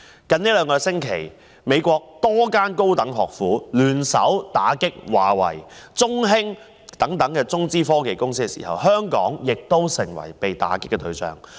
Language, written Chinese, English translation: Cantonese, 在最近兩星期，美國多間高等學府聯手打擊華為、中興等中資科技公司，香港亦成為被打擊對象。, Over the past two weeks a number of higher education institutions in the United States have joined hands to clamp down on Chinese - funded technology companies such as Huawei and ZTE and Hong Kong has become the target as well